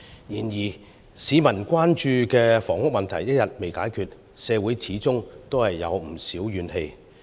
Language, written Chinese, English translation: Cantonese, 然而，市民關注的房屋問題一天未能解決，社會便始終有不少怨氣。, However as long as the housing problem a prime concern of the public remains unresolved there are still social grievances